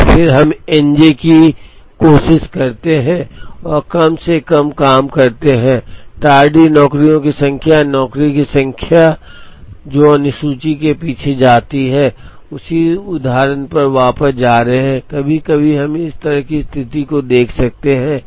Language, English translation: Hindi, And then we try and minimize N j, the number of tardy jobs or number of jobs that go behind the schedule, going back to the same example, sometimes we might even look at a situation like this